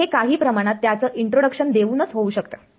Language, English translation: Marathi, So, this is just by means of giving some introduction to it